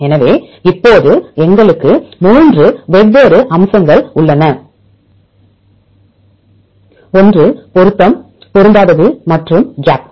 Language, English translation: Tamil, So, now, we have 3 different aspects one is a match, mismatch and the gap